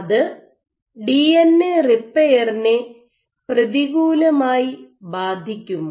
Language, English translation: Malayalam, So, can it be that DNA repair is impacted negatively